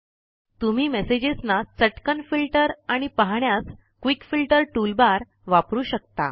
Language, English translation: Marathi, You can use the Quick Filter toolbar to quickly filter and view messages